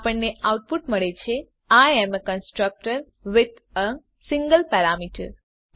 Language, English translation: Gujarati, We get the output as I am constructor with a single parameter